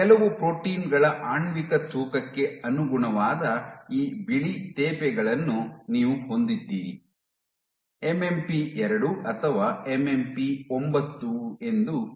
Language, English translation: Kannada, You have these white patches corresponding to molecular weight of certain proteins let us say MMP 2 or MMP 9